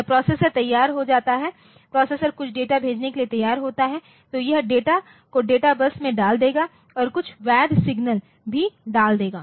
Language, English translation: Hindi, So, when the processor is ready processor is ready to send some data so, it will send the it will put the data onto the and data bus and it will put some valid signal